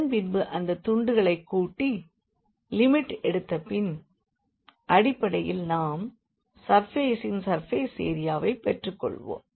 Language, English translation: Tamil, And, then we will sum those pieces and after taking the limit basically we will get the surface area of the of the surface